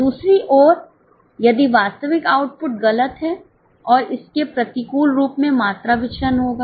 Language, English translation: Hindi, Other way round if the actual output falls, it will lead to adverse volume variance